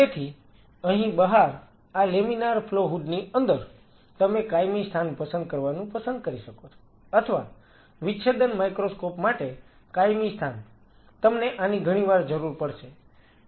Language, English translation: Gujarati, So, out here inside this laminar flow hood, you may prefer to have a permanent fixture or a not a fixture a permanent location for dissecting microscope, you will be needing this pretty frequently